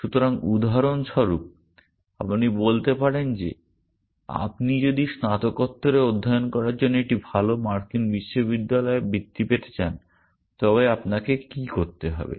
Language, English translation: Bengali, So, for example, you might say that if you want to get a scholarship into a good US university for doing post graduate studies then what do you need to do